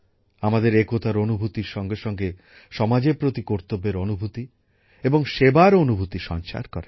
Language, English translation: Bengali, Along with the feeling of collectivity, it fills us with a sense of duty and service towards the society